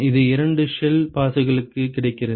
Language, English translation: Tamil, It is available for two shell passes